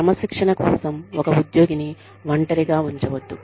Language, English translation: Telugu, Do not single out an employee, for discipline